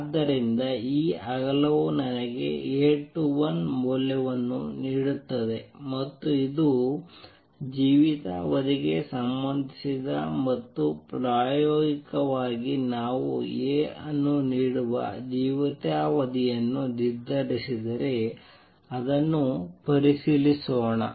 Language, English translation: Kannada, So, this width gives me the value of A 21 it is also related to lifetime and experimentally if we determine the lifetime this gives A